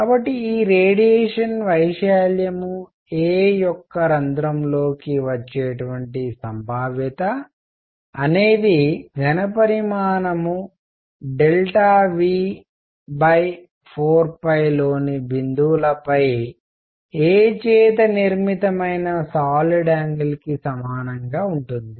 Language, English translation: Telugu, So, the probability that this radiation comes into the hole of area a is going to be equal to the solid angle made by a on points in volume delta V divided by 4 pi